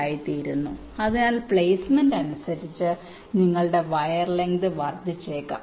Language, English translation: Malayalam, so depending on the placement, your wire length might increase